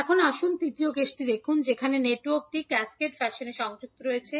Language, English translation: Bengali, Now, let us see the third case where the network is connected in cascaded fashion